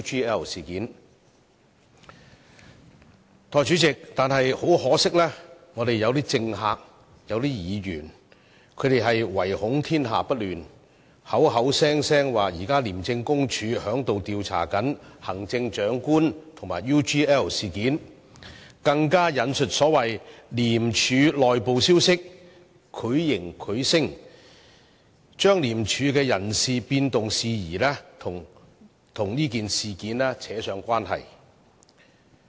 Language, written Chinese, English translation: Cantonese, 但是，代理主席，很可惜，我們當中有些政客、有些議員卻惟恐天下不亂，口口聲聲說廉署現正調查行政長官和 UGL 事件，更引述所謂的廉署內部消息，繪形繪聲，將廉署的人事變動事宜跟這件事扯上關係。, However Deputy President very regrettably some politicians and Members among us are anxious to see the world in disorder and keep arguing that an investigation is being conducted by ICAC on the Chief Executive and the UGL incident . Some so - called inside information from ICAC has even been cited to suggest with certainty that the personnel reshuffle within ICAC is actually related to the investigation underway